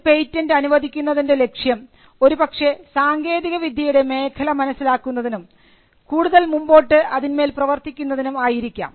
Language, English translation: Malayalam, Now, the object of a patent or the grant of a patent could be to identify area and technology and to do further work